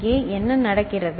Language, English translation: Tamil, And here what is happening